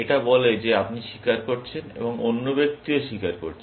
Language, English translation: Bengali, It says that you are confessing, and the other person is also confessing